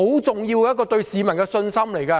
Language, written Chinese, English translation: Cantonese, 這對市民的信心是很重要的。, This is very important to the peoples confidence